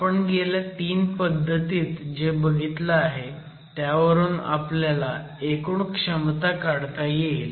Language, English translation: Marathi, So, what we have seen in the last three approaches will lead us to a global estimate of the capacities